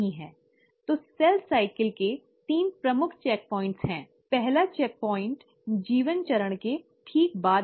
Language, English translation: Hindi, So in cell cycle, there are three major checkpoints; the first check point is right after the G1 phase